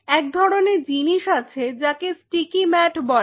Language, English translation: Bengali, There is something called sticky mats, the sticky mats